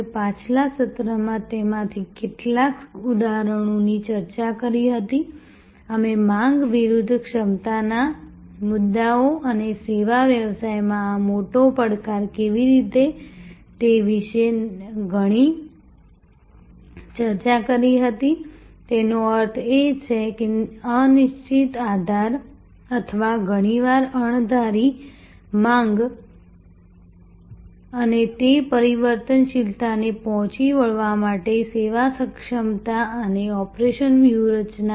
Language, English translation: Gujarati, We discussed some of those examples in the previous session, we discussed a lot about demand versus capacity issues and how this big challenge in the service business; that means, indeterminate or often unpredictable demand and the service capacity and operation strategies to meet that variability